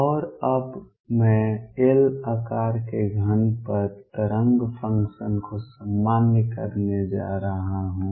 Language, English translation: Hindi, And now I am going to normalize the wave function over a cube of size L